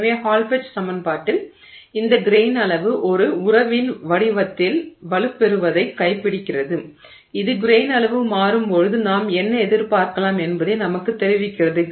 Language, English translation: Tamil, So, the Hall Petch equation is what captures this grain size strengthening in the form of a, you know, relationship that conveys to us what is happening, what we can expect when as the grain size changes